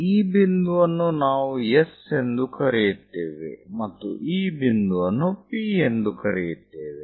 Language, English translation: Kannada, This point what we are calling S and this point as P